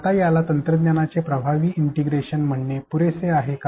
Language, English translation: Marathi, Now is this enough to be called effective integration of technology